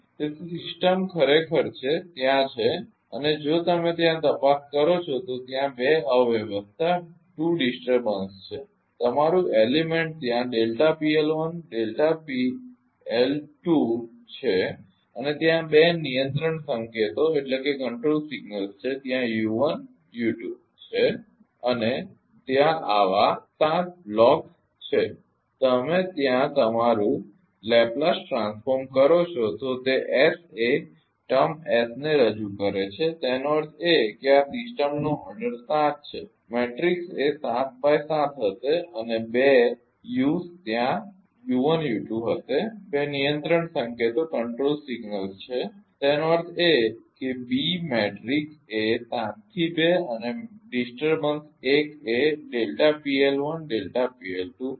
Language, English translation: Gujarati, So, system is actually there are and if you look into that there are two disturbance ah your ah element there delta P L 1 and delta P L 2 and two control signals are there u u 1 and u 2 and there are 7 such blocks are there you representing your Laplace transform your S represent a term is; that means, this system order is 7 into a matrix will be 7 into 7 and 2 us are there u 1 and u 2, two control signals are there ; that means, b matrix will be 7 into 2 and disturbance 1 delta P L 1 and delta P L 2